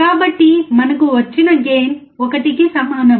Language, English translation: Telugu, So, we have drawn gain equals to 1